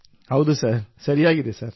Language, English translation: Kannada, Yes sir, it is right sir